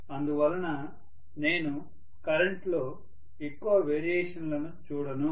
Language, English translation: Telugu, So that I would not see really much of variation in the current at all